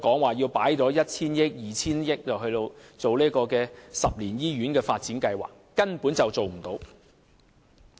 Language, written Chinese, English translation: Cantonese, 不要跟我們說要投放一兩千億元給十年醫院發展計劃，這根本無濟於事。, Do not tell us that the Government needs to put in some 100 billion or 200 billion to implement the ten - year hospital development plans . It does not help to improve the situation